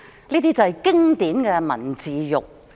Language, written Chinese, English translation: Cantonese, 這是經典的文字獄。, This is a classic case of literary inquisition